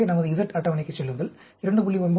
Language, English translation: Tamil, So, go to our Z table 2